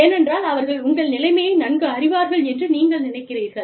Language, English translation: Tamil, Because, you feel that, they will know your situation, better